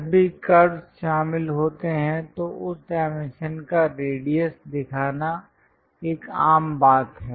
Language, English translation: Hindi, Whenever curves are involved it is a common practice to show the radius of that dimension